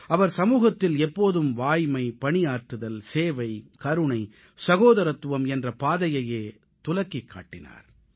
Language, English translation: Tamil, He always showed the path of truth, work, service, kindness and amity to the society